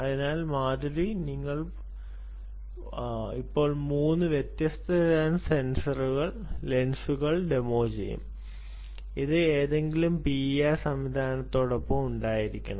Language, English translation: Malayalam, so, madhiri, we will now demonstrate three different types of lenses that should be accompanied with any p i r system